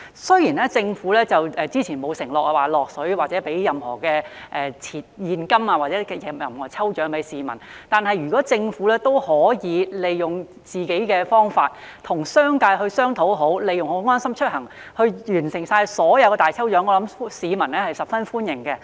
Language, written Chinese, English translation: Cantonese, 雖然政府早前沒有承諾為市民提供任何現金獎或抽獎，但如果政府可以與商界商討，讓市民利用"安心出行"參加各項大抽獎，相信市民會十分歡迎。, Even though the Government has not undertaken to provide any cash prize or launch lucky draws for the public people will very much welcome if it can liaise with the business sector to enable them to make use of LeaveHomeSafe to enrol in all lucky draws